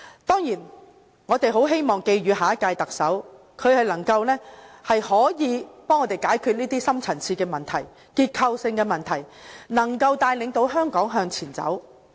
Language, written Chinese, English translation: Cantonese, 當然，我們很希望寄語下屆特首能幫助大家解決這些深層次、結構性的問題，能夠帶領香港向前走。, Of course we very much wish that the next Chief Executive can help us resolve these deep - rooted structural problems and lead Hong Kong forward